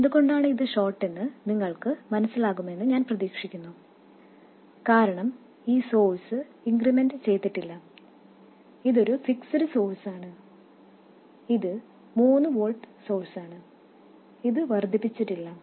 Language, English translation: Malayalam, I hope you understand why it is a short because this source is not incremented, this is a fixed source, this is a 3 volt source, it is not incremented so it will be a short